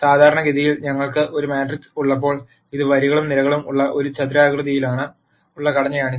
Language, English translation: Malayalam, Typically when we have a matrix it is a rectangular structure with rows and columns